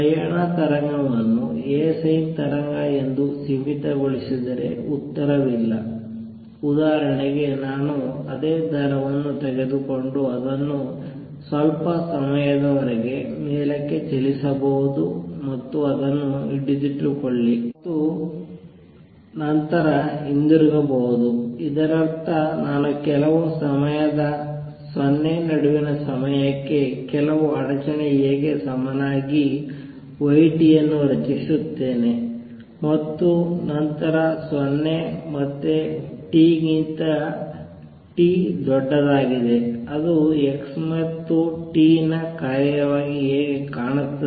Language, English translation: Kannada, For example, I can take the same string and move it up for some time hold it there and then come back; that means, I create a disturbance y t as equal to some disturbance A for time between 0 and sometime t and then 0 again or t greater than T how would it look as a function of x and t